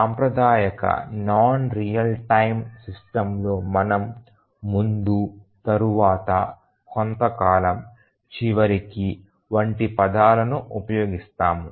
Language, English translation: Telugu, In a traditional non real time system we use terms like before, after, sometime, eventually